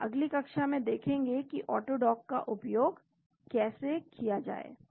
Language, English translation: Hindi, So, we look at how to make use of AutoDock in the next class